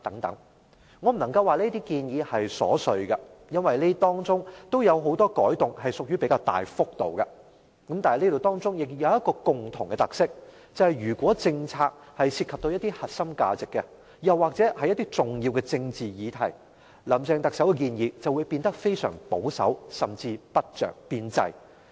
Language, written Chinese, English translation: Cantonese, 我不能說這些建議瑣碎，因為當中有很多改動屬於比較大幅度，但當中仍然有一個共同的特色，就是如果政策涉及核心價值，又或是重要的政治議題，特首林鄭月娥的建議便會變得非常保守，甚至不着邊際。, I cannot say that these are petty measures as many of these changes are rather large scale . But they still share a common feature and that is if core values or significant political issues are involved in the policy the recommendations of Chief Executive Mrs Carrie LAM will become very conservative and even irrelevant